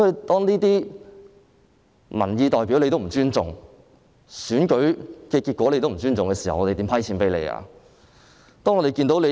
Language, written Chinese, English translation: Cantonese, 當政府連民意代表和選舉結果也不尊重時，我們如何撥款給政府呢？, When the Government does not even respect representatives of public opinion and the outcome of an election how can we approve any funding for it?